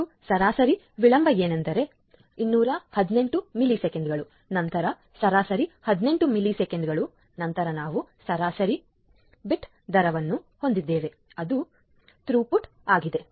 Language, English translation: Kannada, And we can see different things like what is the average delay, this is the average delay that is 218 milliseconds, then average jitter which is 18 millisecond and then we have the average bit rate which is the throughput